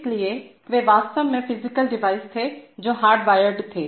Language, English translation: Hindi, So they were actually physical devices which were hardwired